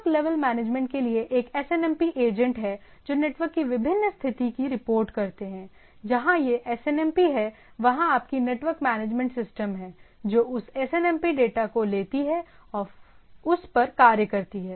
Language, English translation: Hindi, Network level management like it goes on, there are SNMP agents which reports the different status of the network, where this SNMP there is your network management system takes that SNMP data and do